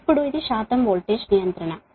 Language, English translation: Telugu, that means that is your percentage voltage regulation